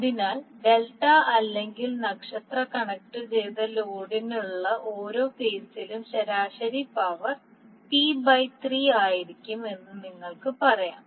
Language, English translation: Malayalam, Now since the total instantaneous power is independent of time, you can say the average power per phase for the delta or star connected load will be p by 3